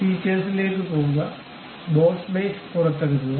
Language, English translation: Malayalam, Go to features, extrude boss base